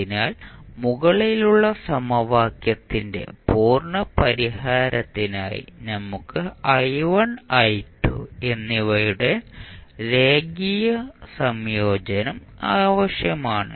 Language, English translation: Malayalam, So, for the complete solution of the above equation we would require therefore a linear combination of i1 and i2